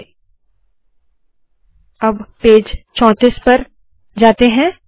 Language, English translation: Hindi, So lets go to page number 34